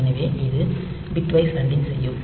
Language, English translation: Tamil, So, this will be doing bitwise anding